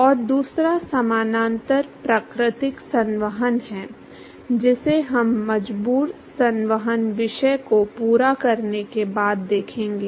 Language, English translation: Hindi, And the other one parallel is the natural convection, which we will see after completing the forced convection topic